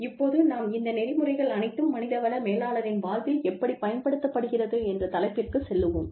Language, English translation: Tamil, Now, we will move on to the topic of, how these ethics are applicable, to the life of a human resource manager